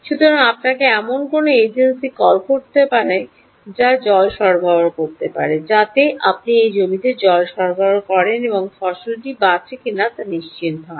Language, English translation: Bengali, so you may have to call an agency which will have to supply water so that water is, you know, supplied to this field and ensure that the crop is saved